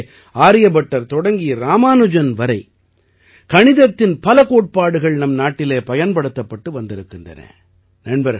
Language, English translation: Tamil, Similarly, from mathematicians Aryabhatta to Ramanujan, there has been work on many principles of mathematics here